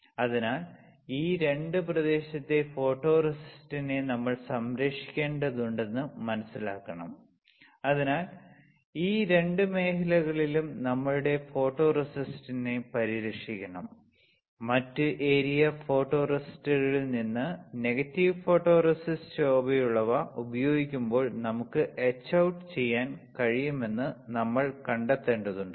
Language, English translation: Malayalam, So, to obtain that we have to protect the photoresist on this 2 area right, so, our photoresist should be protected in this two areas and from other area photoresist we have to etch out that we can do when we use negative photoresist with a bright field mask correct with a bright field mask